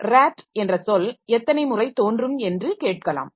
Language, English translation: Tamil, Say how many times the word, say how many times the word rat appears in this